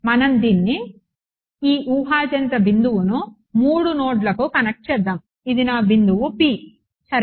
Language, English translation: Telugu, Let us connect this, hypothetical point to the 3 nodes this is my point P ok